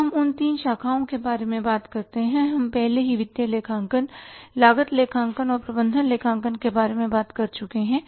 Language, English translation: Hindi, Now let's talk about the three branches we have already talked about financial accounting cost accounting and management accounting